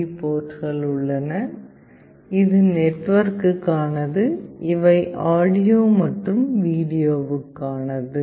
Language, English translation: Tamil, It has got two USB ports; this is for the network, these are audio and video